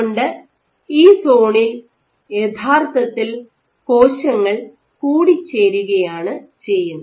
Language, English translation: Malayalam, So, in this zone the cells actually undergo aggregation